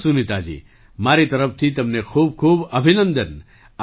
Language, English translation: Gujarati, Well Sunita ji, many congratulations to you from my side